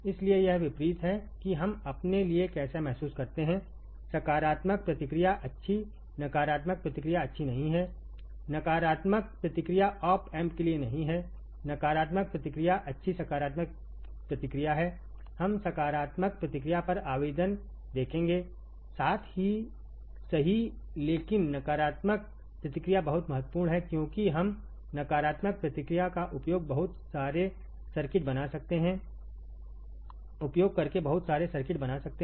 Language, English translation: Hindi, So, it is kind of a the opposite to how we feel for us positive feedback is good negative feedback is not good negative feedback is not for op amp negative feedback is good positive feedback is we will see the application on positive feedback as well, right, but negative feedback is very important because we can create lot of circuits using negative feedback right